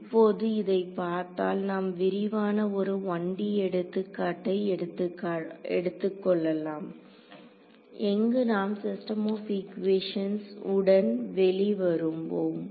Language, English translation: Tamil, Now, looking at this so, I mean we will take a detailed 1 D example where we will we will come up with the system of equations